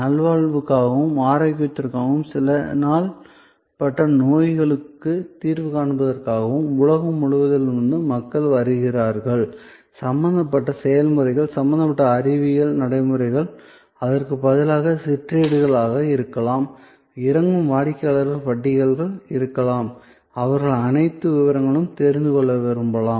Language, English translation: Tamil, A series of unique services for well being, for health, for addressing certain chronic diseases and so on, people come from all over the world, the processes involved, the science involved, the procedures, instead ofů There may be brochures, there may be catalogs for the descending customer, who may want to know all the details